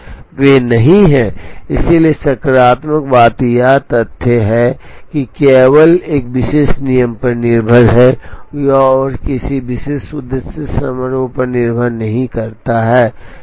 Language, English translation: Hindi, They are not, so positive thing it is the fact that, the it is simply dependent on a particular rule, and it does not depend on a particular objective function